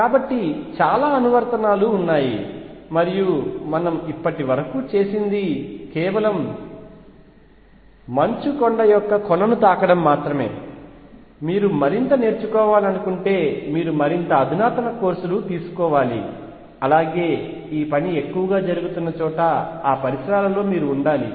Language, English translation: Telugu, So, there are lot of applications and what we have done is just touch the tip of the iceberg if you want to progress if you want to learn more you have to take more advanced courses and in a surroundings where lot of this work is being done